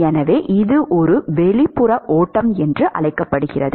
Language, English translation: Tamil, So, that is what is called as an external flow